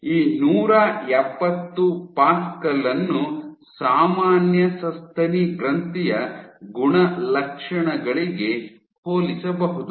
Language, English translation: Kannada, So, this 170 pascal is very comparable to the normal mammary gland properties